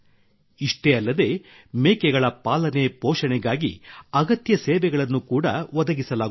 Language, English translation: Kannada, Not only that, necessary services are also provided for the care of goats